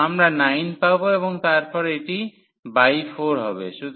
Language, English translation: Bengali, So, we get 9 and then this is by 4